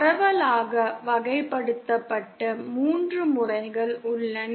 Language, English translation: Tamil, There are broadly classified 3 modes